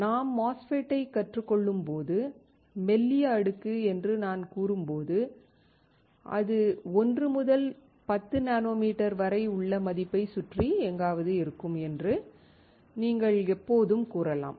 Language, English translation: Tamil, The point is when we learn MOSFET, when we say thin layer you can always say is between 1 and 10 nanometers somewhere around this value